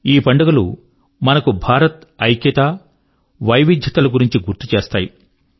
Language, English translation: Telugu, These festivals remind us of India's unity as well as its diversity